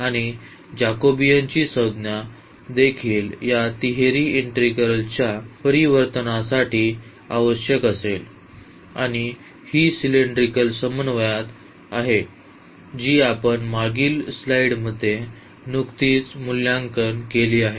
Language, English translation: Marathi, And, also the Jacobian term which will be requiring for this change of variable of this triple integral and that is in cylindrical co ordinate that is also r we have just evaluated in the previous slide